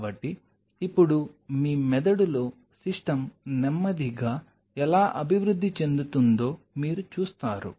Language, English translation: Telugu, So, now, you see how the system is slowly evolving in your brain